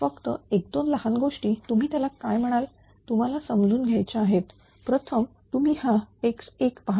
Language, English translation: Marathi, Ah Just 1 minute here one or two small thing you have ah what you call you have to understand right first you see this x 1; this x 1